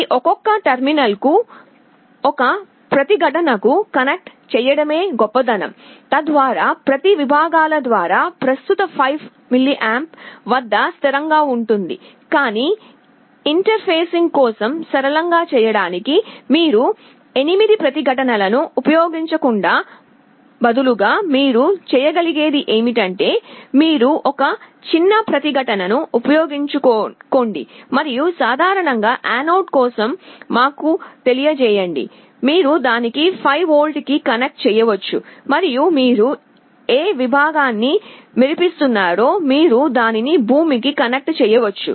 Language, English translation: Telugu, The best thing will be to connect a one resistance to each of these individual terminals, so that the current through each of the segments can be fixed at 5mA, but for the sake of interfacing to make it simple, instead of using 8 resistances what you can do is you use a small resistance and let us say for common anode, you can connect it to 5V and whichever segment you want to glow you connect it to ground